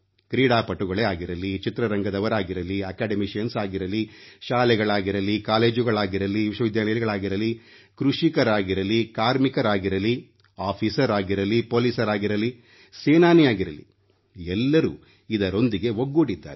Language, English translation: Kannada, Whether it be people from the sports world, academicians, schools, colleges, universities, farmers, workers, officers, government employees, police, or army jawans every one has got connected with this